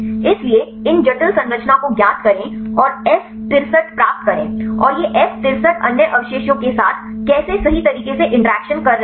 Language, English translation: Hindi, So, take these complex structure is known and get the F63 and how these F63 is interacting with other residues right